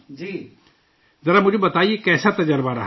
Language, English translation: Urdu, Tell me, how was the experience